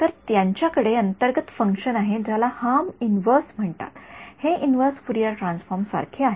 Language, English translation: Marathi, So, these guys have a inbuilt function called harm inverse this is right this is like the inverse Fourier transforms